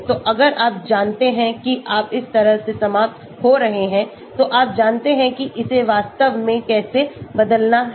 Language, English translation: Hindi, so if you know that you are ending up like this then you know how to change it to this and so on actually